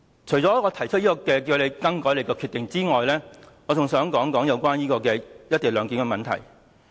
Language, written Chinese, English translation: Cantonese, 除了提出你更改決定的要求外，我還想說說"一地兩檢"的問題。, Apart from urging you to change your decision I would like to talk about the co - location arrangement